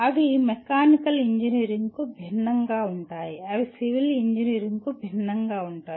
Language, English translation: Telugu, They will be different for mechanical engineering, they will be different for civil engineering and so on